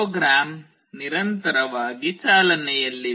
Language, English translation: Kannada, The program is continuously running